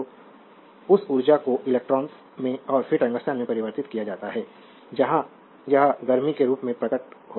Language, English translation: Hindi, So, that energy is transformed in the electrons and then to the tungsten where it appears as the heat